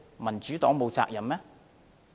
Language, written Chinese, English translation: Cantonese, 民主黨沒有責任嗎？, The Democratic Party has no responsibility?